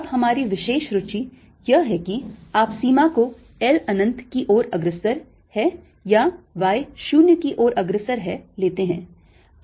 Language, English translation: Hindi, now of particular interest is: either you take limit l will go to infinity or y going to zero